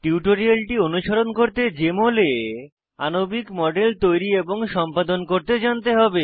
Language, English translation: Bengali, To follow this tutorial, you should know how to create and edit molecular models in Jmol Application